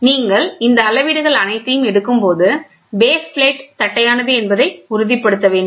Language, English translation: Tamil, So, when you do all these measurements, you should make sure the base plate is also perfectly flat